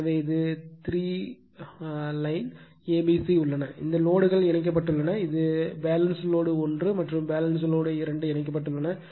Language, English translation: Tamil, So, this is the three line a b c this is the , three lines are there right; and this loads are connected this is the Balanced Load 1 and this is the Balanced , 2 loads are connected